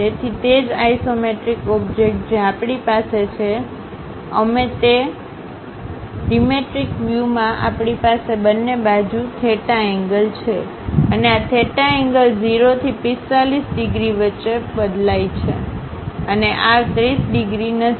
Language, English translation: Gujarati, In the dimetric view we have theta angle on both sides and this theta angle varies in between 0 to 45 degrees and this is not 30 degrees